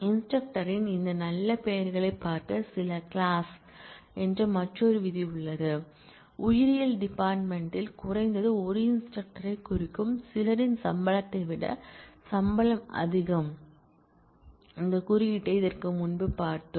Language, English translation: Tamil, There is another clause called the some clause look at this fine names of instructor; salary is greater than that of some which means at least one instructor in biology department and we have already seen this coding before